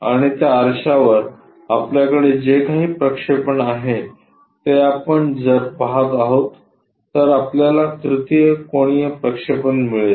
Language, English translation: Marathi, And whatever the projection you have it on that mirror that if we are looking at it, we will get that 3 rd angle projection